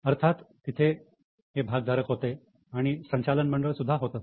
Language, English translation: Marathi, Of course, there are shareholders and there is a board